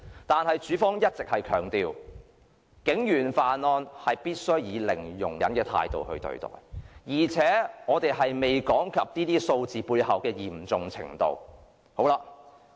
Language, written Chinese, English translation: Cantonese, 但是，署方一直強調，必須以零容忍的態度對待警員犯案。而且，我們仍未談及這些數字背後的嚴重程度。, However the Police have always stressed the need to treat police officers involvement in crimes with zero tolerance and we have yet to talk about the level of severity behind these figures